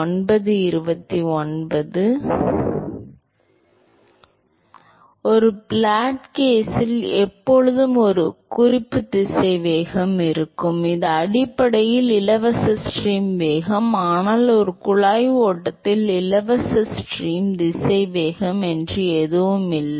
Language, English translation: Tamil, In a flat plate case, there was always a there existed always a reference velocity which is basically the free stream velocity, but in a pipe flow there is nothing called a free stream velocity right